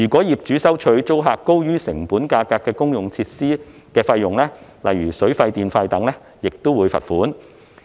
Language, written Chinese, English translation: Cantonese, 業主如收取租客高於成本價格的公用設施費用，例如水費、電費等，亦可處罰款。, A landlord who charges the tenant utility fees that exceed the costs shall also be liable to a fine